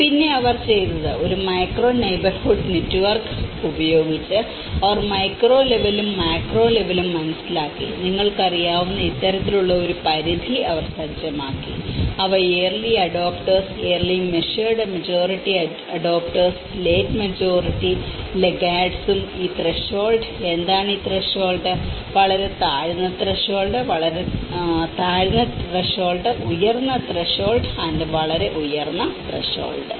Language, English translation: Malayalam, And what they did was; they did both the micro level and the macro level understanding where with a micro neighbourhood networks, they set up this kind of threshold you know the which have the early adopters, early measured majority adopters, late majority and laggards and these threshold; what are these threshold; very low threshold, low threshold, high threshold, very high threshold